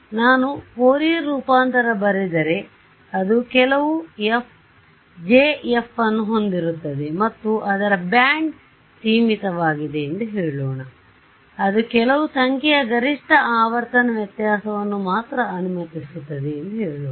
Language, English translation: Kannada, So, if I write down the Fourier transform over here, it will have some J tilde of f and let us say that it is band limited let say it allows only a maximum frequency variation up to some number right